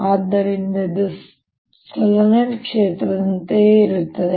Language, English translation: Kannada, so this becomes like a solenoid